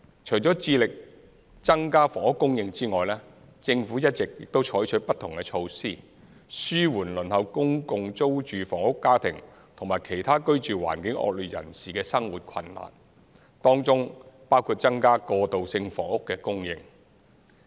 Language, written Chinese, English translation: Cantonese, 除致力增加房屋供應外，政府一直採取不同的措施，紓緩輪候公共租住房屋家庭和其他居住環境惡劣人士的生活困難，當中包括增加過渡性房屋的供應。, Apart from putting efforts to increase housing supply the Government has been adopting various measures including increasing the supply of transitional housing to alleviate the hardship of families on the public rental housing Waiting List and the inadequately housed